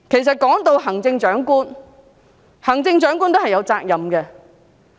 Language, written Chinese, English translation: Cantonese, 說到行政長官，她其實都是有責任的。, As for the Chief Executive she too should be held responsible